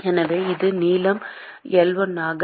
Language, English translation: Tamil, So, this is length L1